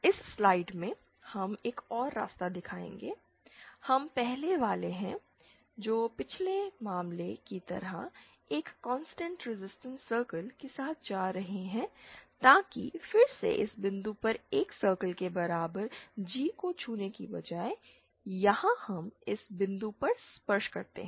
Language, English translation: Hindi, In this slide we will show another path we are 1st going along a constant resistance circle like in the previous case but then instead of touching G equal to 1 circle at this point, here we touch at this point